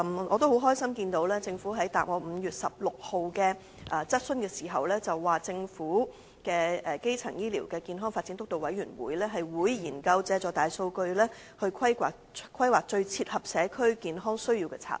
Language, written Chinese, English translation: Cantonese, 我很高興，政府在答覆我在5月16日的書面質詢時表示，政府成立的基層醫療健康發展督導委員會會研究借助大數據規劃最切合社區健康需要的策略。, I am glad that the Governments reply to my written question on 16 May indicates that a Steering Committee on Primary Healthcare Development set up by the Government will explore the use of big data in devising strategies which best fit the health care needs of the community . This is a wise move